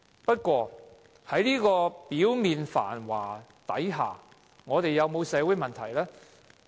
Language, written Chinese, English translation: Cantonese, 不過，在表面繁華之下，我們有沒有社會問題呢？, However are there social problems despite the apparent prosperity?